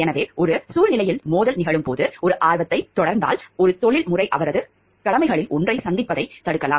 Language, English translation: Tamil, So, when conflict of interest happens when it is situation when an interest if pursued could keep a professional from meeting one of his obligations